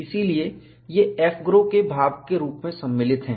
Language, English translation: Hindi, So, these are included as part of AFGROW